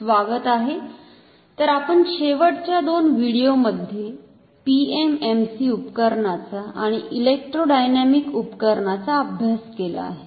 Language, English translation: Marathi, Welcome, so in last couple of videos we have studied PMMC Instrument and Electrodynamic Instruments